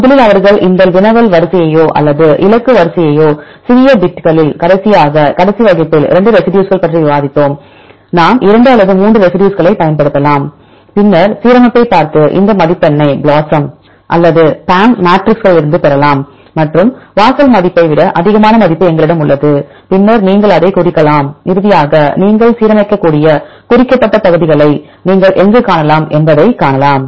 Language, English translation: Tamil, First they divide this query sequence or the target sequence in the small bits right last time last class we discussed about the 2 residues right, we can use 2 or 3 residues and then see the alignment and get this score from the BLOSUM or the PAM matrixes, and where we have the value which is more than the threshold value then you can mark it then finally, you can see where you can see the marked regions you can align